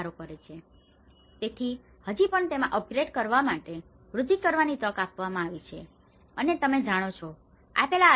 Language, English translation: Gujarati, So, but, still, it has given a scope to enhance to upgrade and you know, with the given shelter